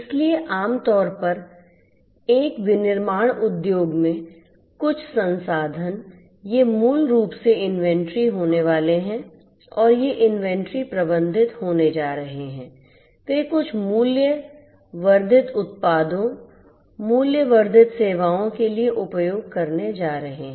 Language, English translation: Hindi, So, some resource typically in a manufacturing industry these manufacturing resources you know, so these are basically are going to be the inventories and these inventories are going to be managed they are going to be used to have some value added products, value added services